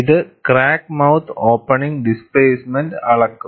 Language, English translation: Malayalam, People measure the crack mouth opening displacement